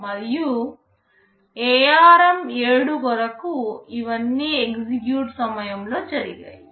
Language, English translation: Telugu, And for ARM7 all of these were done during execute